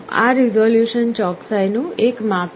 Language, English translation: Gujarati, This resolution is a measure of accuracy